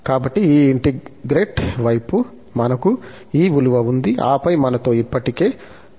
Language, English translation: Telugu, So, this integral side, we have this value, and then, we have the cn square already with us